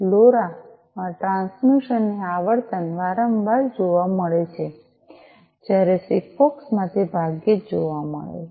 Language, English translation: Gujarati, The frequency of transmission is frequent in LoRa whereas, in SIGFOX it is infrequent